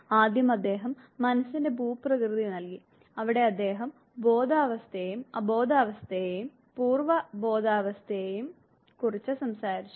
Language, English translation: Malayalam, First he gave the Topography of mind, where in he talked about conscious, unconscious and the preconscious states